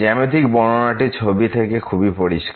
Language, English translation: Bengali, The geometrical interpretation is as clear from this figure